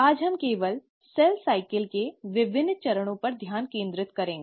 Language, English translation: Hindi, Today we’ll only focus on the various steps of cell cycle